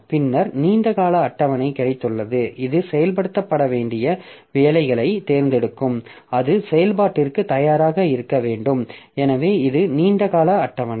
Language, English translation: Tamil, Then we have got long term scheduler which will be selecting the jobs that should be executing that should be made ready for execution